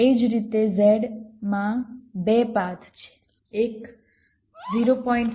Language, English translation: Gujarati, similarly, in z there are two paths